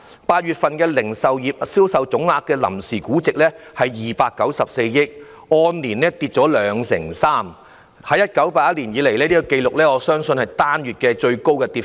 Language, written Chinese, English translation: Cantonese, 8月份零售業銷售總額的臨時估值是294億元，按年下跌兩成三，我相信是自1981年有紀錄以來最高的單月跌幅。, In August the provisional estimate for aggregate retail sales value dropped 23 % year - on - year to 29.4 billion . I believe this is the largest monthly fall since records were first kept in 1981